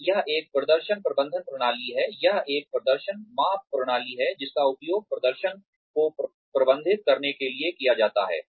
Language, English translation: Hindi, And, it is a performance management system, it is a performance measurement system, that is used to manage performance